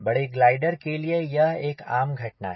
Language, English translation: Hindi, this is common phenomena for large span gliders